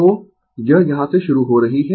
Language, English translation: Hindi, I is starting from here right